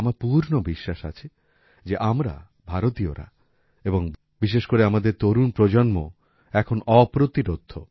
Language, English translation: Bengali, I have full faith that we Indians and especially our young generation are not going to stop now